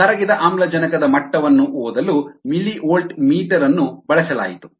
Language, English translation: Kannada, a millivolt meter was used to read the dissolved oxygen level